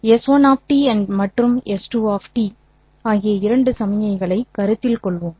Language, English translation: Tamil, Let's consider two signals S1 of T and S2 of T